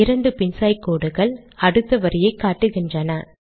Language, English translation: Tamil, Two reverse slashes indicate next line